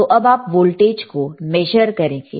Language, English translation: Hindi, So, measure this voltage again